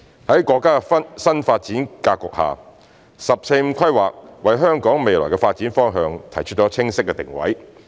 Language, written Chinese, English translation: Cantonese, 在國家的新發展格局下，"十四五"規劃為香港未來的發展方向提出清晰的定位。, Under the new development pattern of the country the 14th Five - Year Plan provides a clear positioning for the future development of Hong Kong